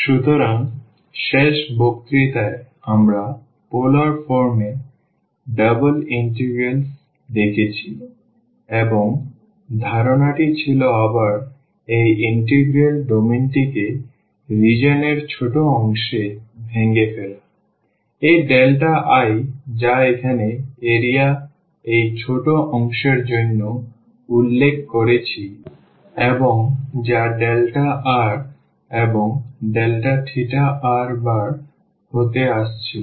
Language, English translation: Bengali, So, in the last lecture we have seen the double integrals in the polar forms and the idea was to again break this integral the domain of integral into smaller parts of region, this delta i which we have denoted here for this small portion of the area and which was coming to be the r times the delta r and delta theta